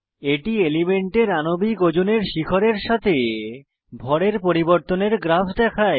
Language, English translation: Bengali, It shows a graph of mass spectrum with a peak at Molecular weight of the compound